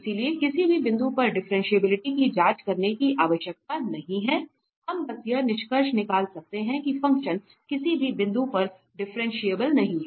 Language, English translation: Hindi, So, we do not have to check even differentiability at any point we can simply conclude that the function is not differentiable at any point